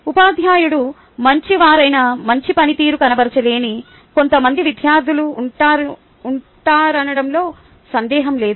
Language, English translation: Telugu, no doubt there will be some students who may not be able to perform well, even if the teacher is good